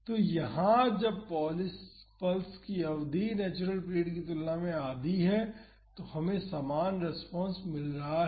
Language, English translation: Hindi, So, here when the duration of the pulse is half of that of the natural period we are getting the similar response